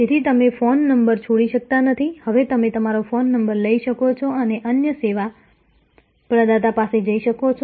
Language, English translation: Gujarati, So, you could not abandon the phone number, now you can take your phone number and go to another service provider